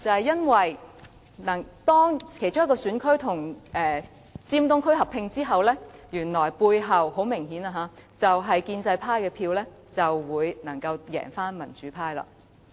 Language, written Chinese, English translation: Cantonese, 因為當其中一個選區與尖東區合併後，該選區支持建制派的票數就很明顯地可以勝過民主派。, For when one of the divided constituencies was combined with East Tsim Sha Tsui the votes supporting the pro - establishment camp in that constituency will significantly exceed those supporting the democratic camp